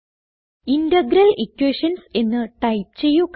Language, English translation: Malayalam, Now let us see how to write Integral equations